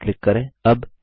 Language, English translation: Hindi, Click OK.Click Close